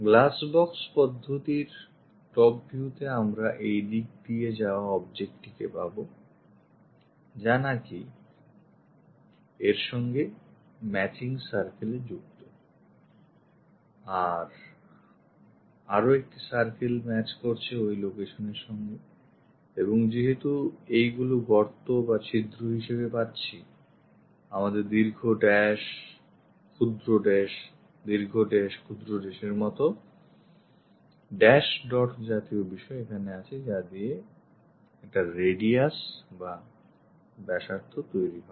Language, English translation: Bengali, In the top view glass box method, we will have this object which goes in this way having a circle matching with this one, another circle matching with that location and because these are the holes, we will have dash dot kind of long dash, short dash, long dash, short dash, long dash, short dash kind of line similarly here because this is making a radius